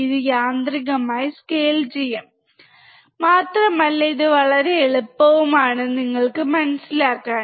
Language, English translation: Malayalam, It will auto scale it and it will be very easy for you to understand